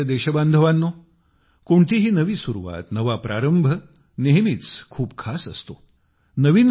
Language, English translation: Marathi, My dear countrymen, any new beginning is always very special